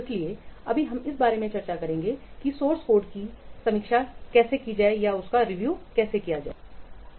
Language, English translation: Hindi, Today we will discuss about source code review